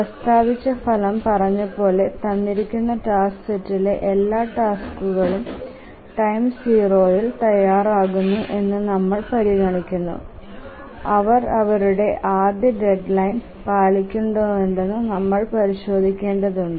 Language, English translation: Malayalam, So, the result as it is stated is that we consider for a given task set all tasks become ready at time zero and we just need to check whether they meet their fast deadlines